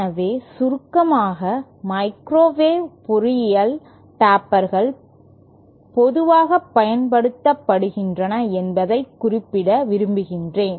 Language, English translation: Tamil, So in summary I would like to mention that tapers are in commonly used in microwave engineering